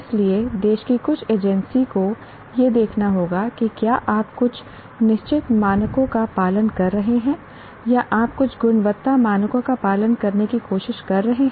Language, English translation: Hindi, So some agency in the country will have to look at to what are you following certain, are you trying to follow certain quality standards